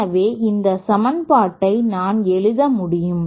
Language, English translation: Tamil, So from here we can simply write this down